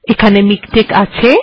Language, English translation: Bengali, Here it is